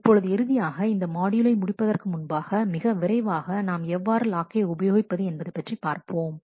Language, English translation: Tamil, Now finally, before you close this module a quick word in terms of how do you implement locking